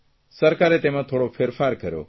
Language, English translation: Gujarati, The Government has made some changes in the scheme